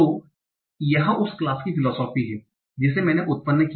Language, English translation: Hindi, So this is the philosophy from the class, the data is generated